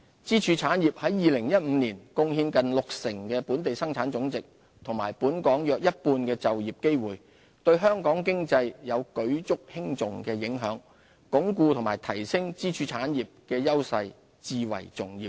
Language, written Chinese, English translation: Cantonese, 支柱產業在2015年貢獻近六成本地生產總值和本港約一半的就業機會，對香港經濟有舉足輕重的影響，鞏固及提升支柱產業的優勢至為重要。, In 2015 our pillar industries contributed close to 60 % of our GDP and about half of the employment opportunities in Hong Kong serving as the linchpin of our economy . It is therefore of utmost importance to consolidate and enhance the competitiveness of our pillar industries